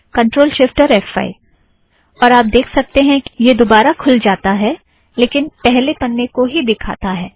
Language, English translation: Hindi, Ctrl, shift, f5 – and you can see that it goes back to the first page